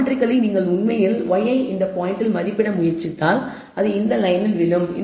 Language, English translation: Tamil, And geometrically if you actually try to estimate y i given this point it will fall on this line